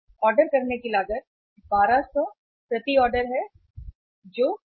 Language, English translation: Hindi, Ordering cost is 1200 per order that is C